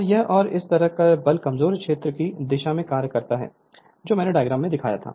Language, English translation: Hindi, And this and thus the force acts in the direction of the weaker field right whatever I showed in the diagram